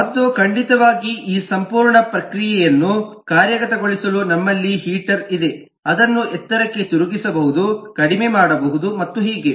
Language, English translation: Kannada, and certainly to actuate this whole process we have a heater which can be turned high, turned low and so on